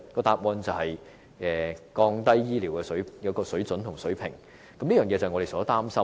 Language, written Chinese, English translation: Cantonese, 答案便是降低醫療水準，這是我們所擔心的。, The answer must be a decline in medical standards which is our concern